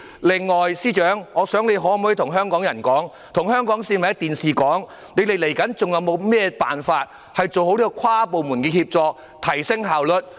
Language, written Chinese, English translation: Cantonese, 另外，司長，你可否透過電視直播向香港市民說明，你們還有甚麼辦法做好跨部門協作，從而提升效率？, Moreover can the Chief Secretary state to the people of Hong Kong through the live television broadcast what other methods are available to achieve proper interdepartmental coordination thereby enhancing efficiency?